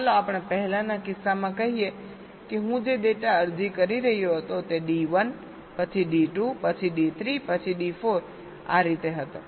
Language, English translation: Gujarati, lets say, in the earlier case the data i was applying was d one, then d two, then d three, then d four